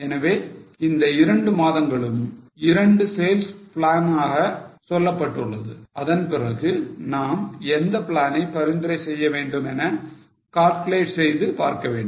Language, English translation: Tamil, So, these two months are treated as two sales plans and then we have to calculate which plant do you recommend